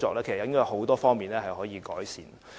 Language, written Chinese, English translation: Cantonese, 其實有很多方面是可以改善的。, Actually improvement can be made on many fronts